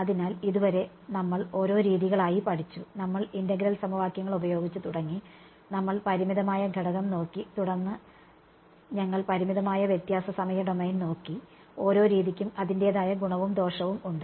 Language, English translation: Malayalam, So, far we have studied individual methods we have looked at we started with integral equations and we looked at finite element then we looked at finite difference time domain right each method has their plus and minus points